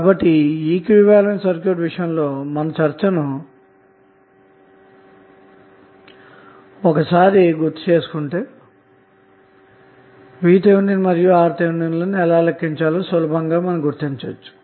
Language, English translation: Telugu, So if you recollect what we discussed in case of equaling circuit, you can easily figure out that how you will calculate VTh and RTh